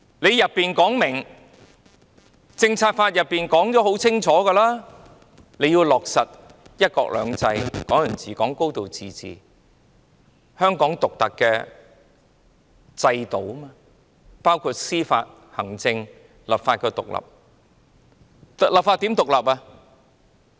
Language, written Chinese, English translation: Cantonese, 《香港政策法》清楚訂明，香港要落實"一國兩制"、"港人治港"及"高度自治"，而香港獨特的制度包括司法、行政及立法獨立。, The Hong Kong Policy Act clearly stipulates that one country two systems Hong Kong people ruling Hong Kong and a high degree of autonomy must be implemented in Hong Kong and Hong Kong must maintain its unique systems which includes independence of the judicial administrative and legislative powers